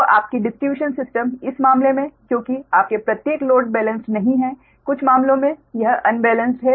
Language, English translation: Hindi, so your distribution system, in that case, that is, each uh, your loads are not balanced